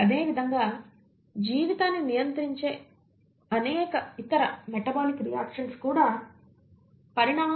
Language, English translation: Telugu, Similarly, a lot of other metabolic reactions which govern life are also conserved across evolution